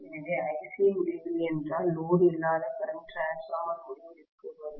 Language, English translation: Tamil, So, if Ic is infinity, the no load current of the transformer will get to infinity